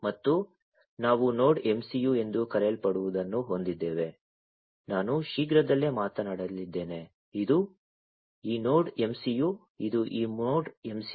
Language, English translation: Kannada, And we have something known as the Node MCU which I am going to talk about shortly this is this Node MCU, this is this Node MCU